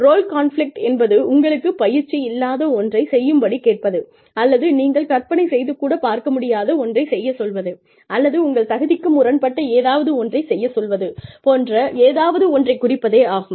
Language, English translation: Tamil, Role conflict refers to, you being asked to do something, that you are either not trained to do, or, you did not imagine yourself doing, or, something that is in conflict, with your value system